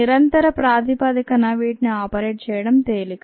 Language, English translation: Telugu, a continuous bases would be easier to operate